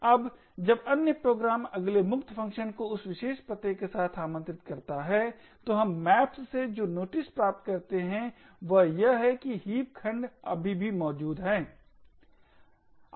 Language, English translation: Hindi, Now when other program next invokes the free function with that particular address, what we notice from the maps is that the heap segment is still present